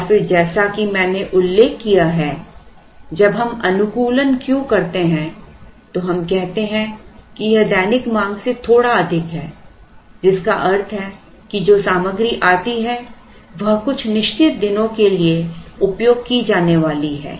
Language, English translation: Hindi, And then as I mentioned when we do the optimization Q, let us say, is a little more than the daily demand which means that the material that comes is going to be used for a certain number of days